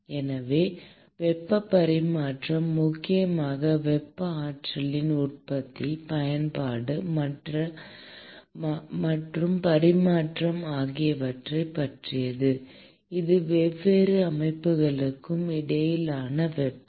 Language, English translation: Tamil, So, heat transfer essentially concerns generation, use, conversion and exchange of thermal energy that is heat between different systems